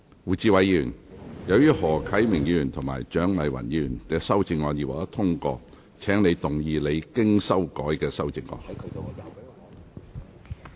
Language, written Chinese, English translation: Cantonese, 胡志偉議員，由於何啟明議員及蔣麗芸議員的修正案已獲得通過，請動議你經修改的修正案。, Mr WU Chi - wai as the amendments of Mr HO Kai - ming and Dr CHIANG Lai - wan have been passed you may move your revised amendment